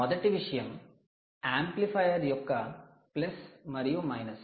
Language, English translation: Telugu, first thing is plus and the minus of a amplifier